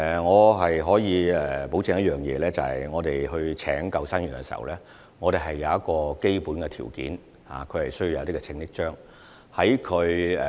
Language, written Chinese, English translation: Cantonese, 我可以保證一點，在聘用救生員時，我們已訂有基本條件，他們需要持有一些救生章。, I can assure Members that in the recruitment of lifeguards basic requirements have been set and they are required to possess certain lifeguard awards